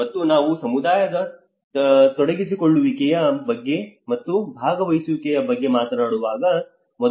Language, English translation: Kannada, And when we talk about the community engagement and the participation